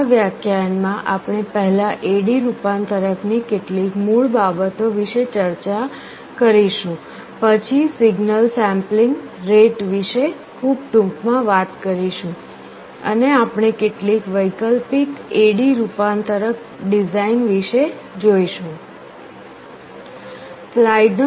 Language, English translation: Gujarati, In this lecture we shall first be talking about some of the basics of A/D conversion, then there is something called signal sampling rate, we shall be talking about that very briefly, and we shall be looking at some alternate A/D converter designs